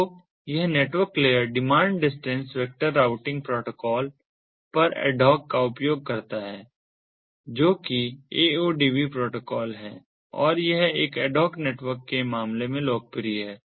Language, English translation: Hindi, so this network layer uses the ad hoc on demand distance vector routing protocol, which is ah, the aodv protocol, and it is been popular in the case of adhoc networks